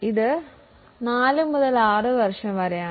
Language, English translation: Malayalam, So, it is 4 to 60 years